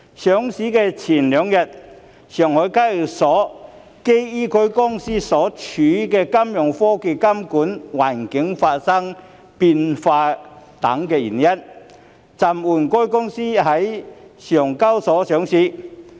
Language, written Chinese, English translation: Cantonese, 上市前兩日，上海證券交易所基於該公司所處的金融科技監管環境發生變化等原因，暫緩該公司在該交易所上市。, Two days before the listing the Shanghai Stock Exchange suspended the companys listing on its stock exchange for reasons such as a change in the regulatory environment of fintech in which the company operates